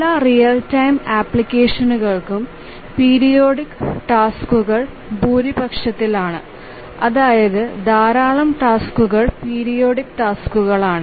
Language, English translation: Malayalam, In any real time application, there are many tasks and a large majority of them are periodic tasks